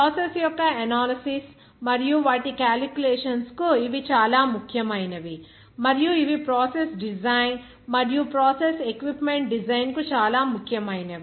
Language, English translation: Telugu, Those are very important for the analysis of the process and their calculations and also these are very important for the process design and the design of the process equipment